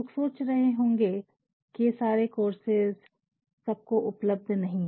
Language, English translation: Hindi, People might have been thinking,that all these online courses are not available to everyone